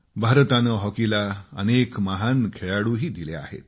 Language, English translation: Marathi, India has produced many great hockey players